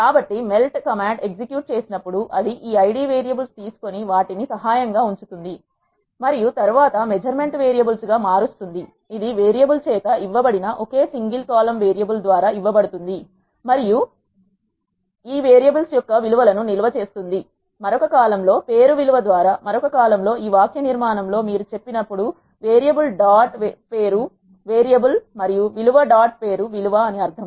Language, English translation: Telugu, So, when the melt command is executed, it will take this Id variables and keep them assist and then convert the measure variables into, one single column which is given by variable and stores the values of those variables, in another column by name value, that is what when you say in this syntax variable dot name is variable and value dot name is value means